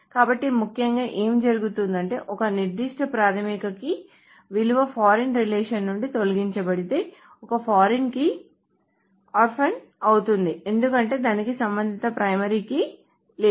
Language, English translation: Telugu, So essentially what happens is that if a particular primary key value is deleted from the actual from the foreign relation then a foreign key becomes orphan because it doesn't have the corresponding primary key